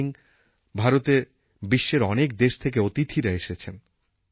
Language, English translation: Bengali, These days many guests from foreign countries have arrived in India